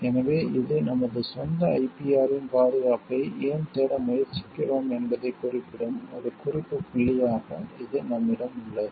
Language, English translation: Tamil, So, that this remains as reference point with us which we can refer to why we are trying to look for the protection of our own IPR